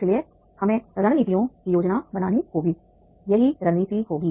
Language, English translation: Hindi, So we have to plan the strategies